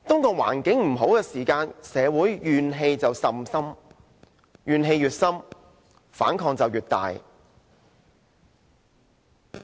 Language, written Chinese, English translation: Cantonese, 當環境欠佳時，社會的怨氣甚深，怨氣越深，反抗就越大。, When the conditions are undesirable grievances in society will increase and as grievances increase opposition will mount